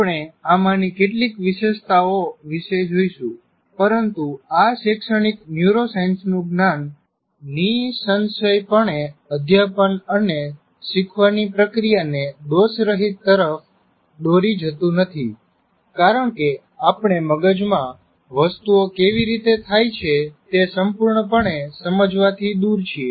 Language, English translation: Gujarati, But the knowledge of this neuroscience, educational neuroscience is certainly not going to lead to making teaching and learning process a perfect one because we are far from fully understanding how things happen in the brain